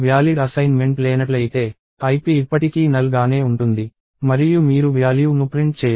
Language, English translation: Telugu, If there is no valid assignment, ip will still remain at null and you will not print the value